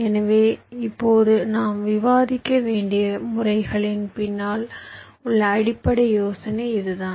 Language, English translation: Tamil, so this is the basic idea behind the methods that we shall be discussing now